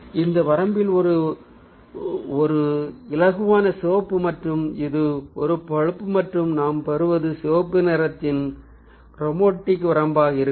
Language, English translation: Tamil, so in this range it's a lighter red and this is a range of a brown, and what we get will be the chromatic range of a red